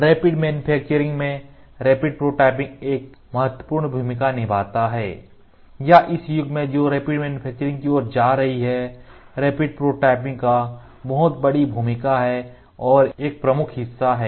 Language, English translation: Hindi, In the concept of rapid manufacturing, rapid prototyping place a very major important role or in the era where rapid manufacturing is going on rapid prototyping is a processes are playing a very very major role and a major share